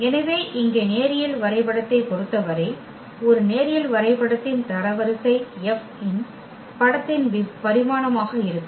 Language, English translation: Tamil, So, here in terms of the linear map, the rank of a linear map will be the dimension of the image of F